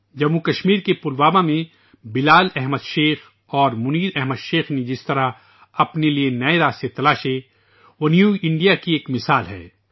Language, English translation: Urdu, The way Bilal Ahmed Sheikh and Munir Ahmed Sheikh found new avenues for themselves in Pulwama, Jammu and Kashmir, they are an example of New India